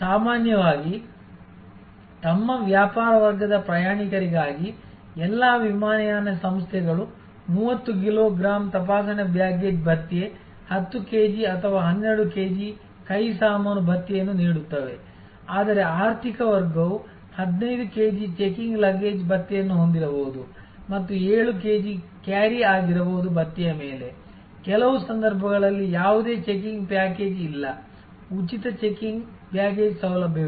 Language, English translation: Kannada, Normally, all airlines for their business class travelers will provide 30 kilo gram of checking baggage allowance, 10 kg or 12 kg of hand luggage allowance, whereas the economic class will have may be 15 kg of checking luggage allowance and may be 7 kg of carry on allowance, in some cases there is no checking package, free checking baggage facility